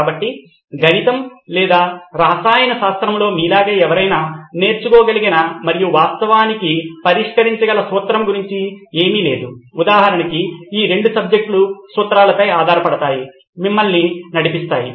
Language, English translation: Telugu, So nothing about a formula that anybody could learn up and actually solve like you have in mathematics or chemistry for example these two are rely on formulae to get you going